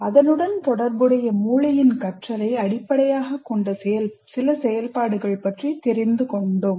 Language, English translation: Tamil, We looked at how brain learns some of the activities that are related to that are based on learning by the brain